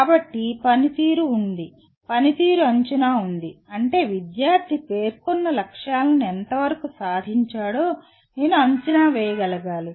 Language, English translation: Telugu, So there is a performance of the, there are performance assessment, that means I should be able to assess to what extent the student has attained the stated objectives, okay